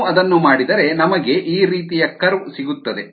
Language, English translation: Kannada, if we do that, then we get a curve like this